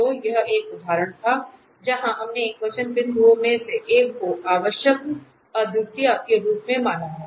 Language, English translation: Hindi, So, that was the example where we have also considered one of the singular point as essential singularity